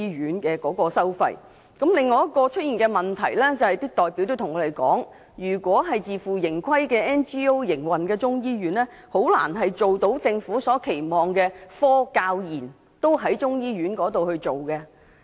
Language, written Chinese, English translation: Cantonese, 有代表告訴我們，另一個可能出現的問題是，若由非政府機構以自負盈虧方式營運中醫院，便難以做到政府期望的科、教、研同時進行。, Another possible problem as told by the representatives is that simultaneous scientific research and teaching will be difficult to achieve if the Chinese medicine hospital is run by an NGO on a self - financing basis